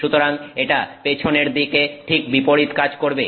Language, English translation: Bengali, So, it does the exact reverse in the back